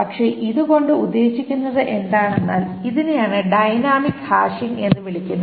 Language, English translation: Malayalam, But the whole point is that this is does what is called a dynamic hashing, because this adapts dynamically to the situation